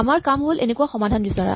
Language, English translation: Assamese, Our task is to find such a solution